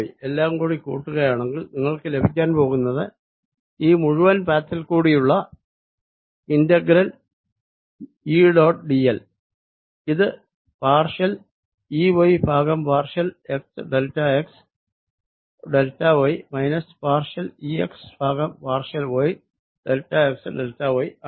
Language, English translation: Malayalam, if i add all this together, what you're going to get is that the integral e, dot, d, l over this entire path is going to come out to be partial e, y over partial x, delta x, delta y minus partial e x over partial y, delta x, delta y